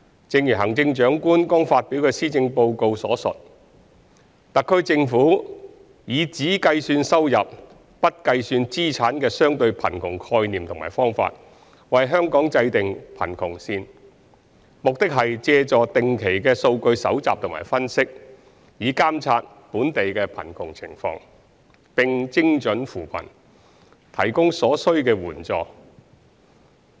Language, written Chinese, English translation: Cantonese, 正如行政長官剛發表的施政報告所述，特區政府以只計算收入，不計算資產的相對貧窮概念和方法為香港制訂貧窮線，目的是借助定期的數據搜集和分析，以監察本地貧窮情況，並精準扶貧，提供所需的援助。, As mentioned in the Chief Executives Policy Address announced recently the HKSAR Government sets the official poverty line based on the concept and methodology of relative poverty which only measures income without considering assets . The objective is to monitor the poverty situation alleviate poverty with targeted efforts and render the necessary assistance through regular data collection and analysis